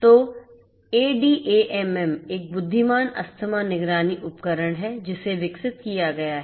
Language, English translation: Hindi, So, ADAMM is an intelligent asthma monitoring device that has been developed